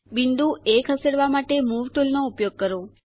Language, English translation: Gujarati, Use the Move tool to move the point A